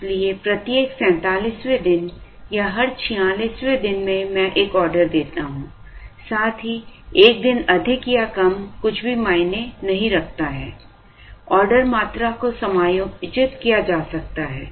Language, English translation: Hindi, So, every 47 days or every 46 days I place an order, plus minus 1 day does not matter at all, the order quantity can be adjusted suitably